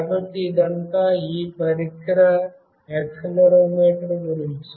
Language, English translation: Telugu, So, this is all about this device accelerometer